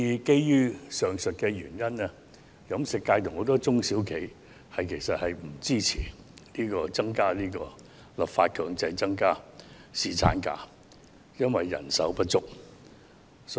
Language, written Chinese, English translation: Cantonese, 基於上述原因，飲食界及很多中小企不支持立法強制增加侍產假，因為人手不足。, For the above reasons particularly due to manpower shortage the catering industry and many SMEs do not support the mandatory increase of paternity leave through legislation